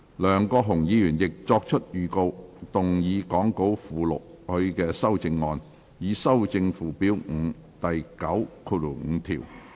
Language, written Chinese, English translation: Cantonese, 梁國雄議員亦已作出預告，動議講稿附錄他的修正案，以修正附表5第95條。, Mr LEUNG Kwok - hung has also given notice to move his amendment to amend section 95 of Schedule 5 as set out in the Appendix to the Script